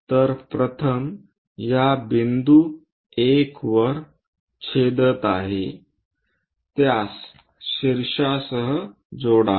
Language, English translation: Marathi, So, the first one is intersecting at this point 1, join that with apex